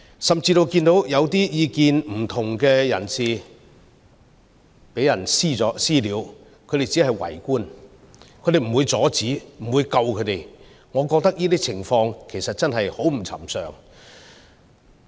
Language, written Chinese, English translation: Cantonese, 甚至看到一些意見不同的人士被人"私了"，他們只會圍觀，不會阻止，不會救他們，我覺得這些情況其實很不尋常。, Some people even gather around to watch without doing anything to stop and save people of dissenting views being subject to vigilante attacks from the assailants . These are indeed very abnormal situations